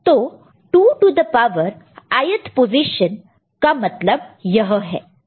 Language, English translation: Hindi, So, what are the 2 to the power i th position